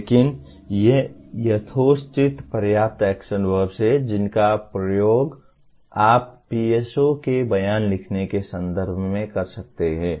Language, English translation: Hindi, But these are reasonably adequate number of action verbs that you can use in the context of writing PSO statements